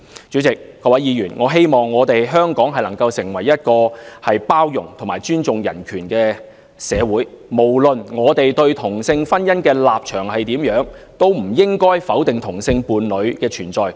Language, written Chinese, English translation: Cantonese, 主席、各位議員，我希望香港能夠成為一個包容及尊重人權的社會，無論我們對同性婚姻的立場如何，都不應該否定同性伴侶的存在。, President Honourable Members I hope that Hong Kong can become a society of tolerance and respect for human rights . No matter what position we take on same - sex marriage we should not deny the existence of homosexual couples